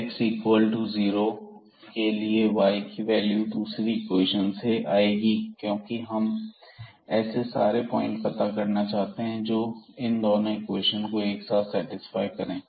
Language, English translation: Hindi, So, corresponding to this when x is equal to 0 here what will be the value of y from the second equation because we are looking for all the points which satisfy both the equations together